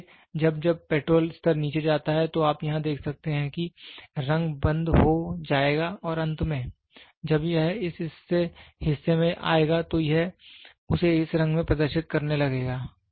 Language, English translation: Hindi, So, as and when the petrol level goes down, so you can see here also the color will be switched off and finally, when it comes to this portion it will start displaying it in that color